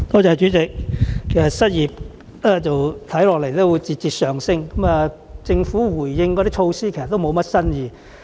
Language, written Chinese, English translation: Cantonese, 主席，當失業率預計會節節上升，政府回應時提及的措施卻無甚新意。, President while the unemployment rate is expected to hike further the Government has failed to give any novel solutions to this problem in its response